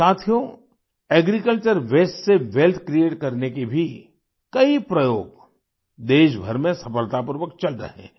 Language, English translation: Hindi, many experiments of creating wealth from agricultural waste too are being run successfully in the entire country